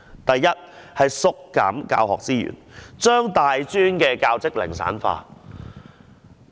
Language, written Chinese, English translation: Cantonese, 第一，當局縮減教學資源，將大專教職零散化。, First the retrenchment of teaching resources has caused a fragmentation of teaching jobs in tertiary institutions